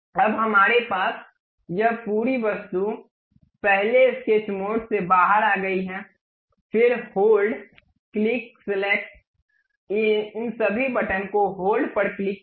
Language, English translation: Hindi, Now, we have this entire object first come out of sketch mode, then pick click hold select, all these buttons by clicking hold